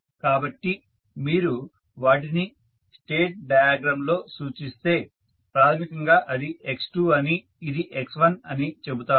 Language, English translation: Telugu, So, if you represent them in the state diagram you will say that this is basically x2, this is x1